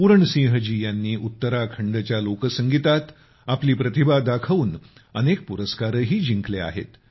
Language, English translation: Marathi, The talented folk music artist of Uttarakhand, Puran Singh ji has also won many awards